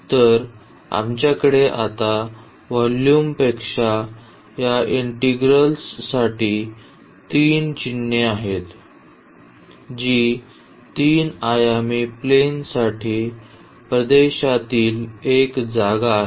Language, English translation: Marathi, So, we have now the 3 symbols for this integral over that volume here which is a space in region in the 3 dimensional plane